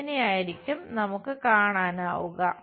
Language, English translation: Malayalam, This is the way we will see these things